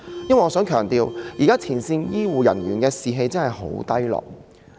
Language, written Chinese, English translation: Cantonese, 我亦想強調，現時前線醫護人員的士氣真的很低落。, I also wish to stress that the morale of frontline healthcare personnel has been very low these days indeed